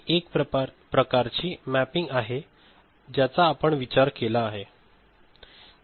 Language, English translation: Marathi, This is one kind of mapping we can think of is it ok